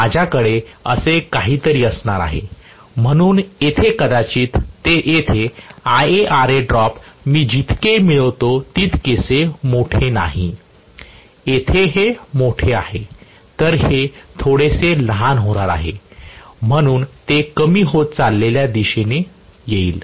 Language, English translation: Marathi, I am going to have something like this, so here probably IaRa drop at this point is really not as large as what I am getting here, here it is larger whereas here this is going to be slightly smaller, so it comes in the decreasing direction